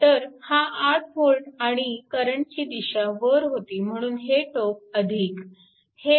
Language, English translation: Marathi, So, here it is 8 volt and direction is upward